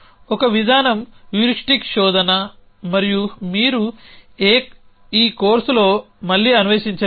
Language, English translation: Telugu, One approach is heuristic search and that is something you will again not explore in this course